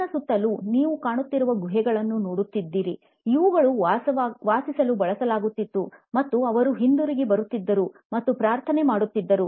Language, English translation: Kannada, All you see around me are caves, which were used for living and they would come back and pray